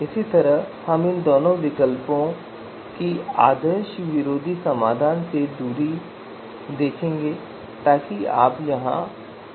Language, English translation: Hindi, So similarly we have to see the distance of these two alternatives from the anti ideal solution so you can see from here